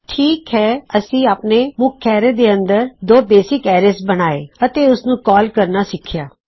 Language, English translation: Punjabi, So weve made our two basic arrays inside our main arrays, and weve learnt to call it